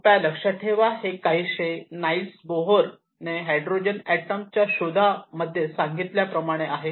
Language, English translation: Marathi, Please remember this is something that Niels Bohr mentioned in his discovery on the hydrogen atom